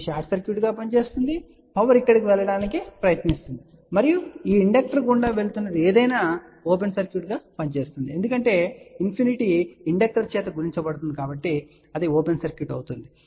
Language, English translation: Telugu, This will act as a short circuit, the power will try to go over here and if anything which is going through this inductor will act as a open circuit because infinity multiplied by inductor will act as an open circuit